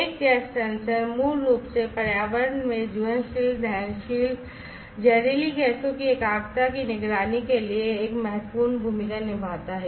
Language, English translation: Hindi, A gas sensor basically plays a vital role for monitoring the concentration of flammable combustible toxic gases in the environment